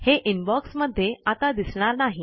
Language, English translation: Marathi, It is no longer displayed in the Inbox